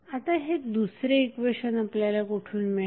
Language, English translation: Marathi, So, from where we will get the second equation